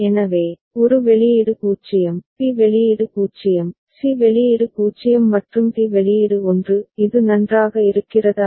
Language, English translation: Tamil, So, a output is 0, b output is 0, c output is 0 and d output is 1 is it fine